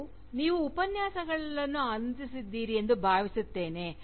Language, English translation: Kannada, I hope, you have enjoyed listening to the Lectures